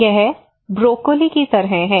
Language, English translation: Hindi, It is like broccoli